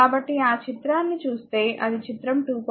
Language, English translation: Telugu, So, if we see that figure this figure 2